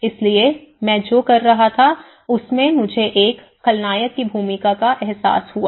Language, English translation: Hindi, So that is what I was doing and there I realize a villain role in myself